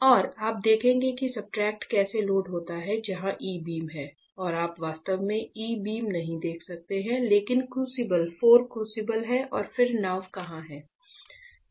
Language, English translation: Hindi, And you will see how the substrate is loaded where is the E beam and you cannot see E beam actually, but otherwise crucible right there are 4 crucibles and then where is the boat right